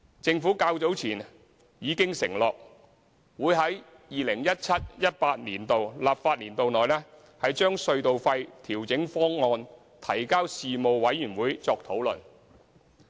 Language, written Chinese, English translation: Cantonese, 政府較早前已經承諾，會於 2017-2018 立法年度內，把隧道費調整方案提交事務委員會作討論。, As undertaken earlier the Government will put the toll adjustment proposals for discussion at the Panel within the 2017 - 2018 legislative year